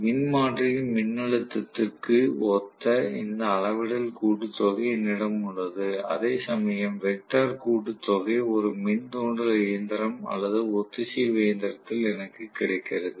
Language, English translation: Tamil, So, I have to this scalar sum is similar to the transformer voltage, whereas the vector sum is whatever I get in induction machine or synchronous machine